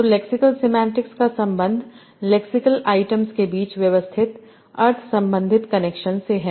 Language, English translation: Hindi, So lexas semantics is concerned with the systematic meaning related connections among lexical items